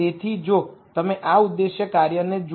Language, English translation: Gujarati, So, if you look at this objective function